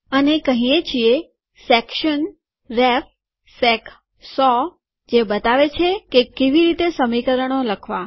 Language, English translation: Gujarati, And says section ref sec 100, shows how to write equations